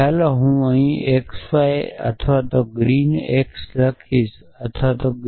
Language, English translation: Gujarati, So, let me write this here on x y or green x or not green y